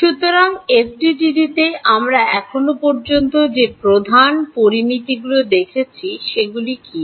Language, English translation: Bengali, So, what are the main parameters that we have seen so far in the FDTD